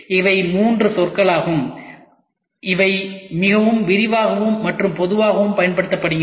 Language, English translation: Tamil, These are the 3 terminologies which are used very exhaustively